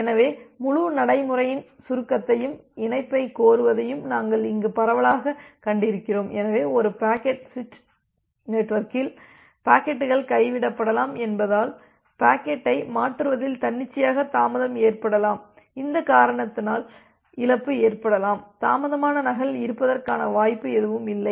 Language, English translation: Tamil, So, what we have broadly seen here just to give you a summary of the entire procedure, the connection requesting, so what we have seen that because packets can get dropped in a packet switching network, there can be arbitrarily delay in transferring the packet, there can be loss because of this reason, there is always a possibility of having a delayed duplicate